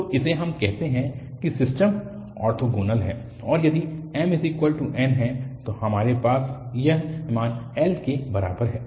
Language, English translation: Hindi, So, this is what we call that the system is orthogonal and if m is equal to n then, we have this value is equal l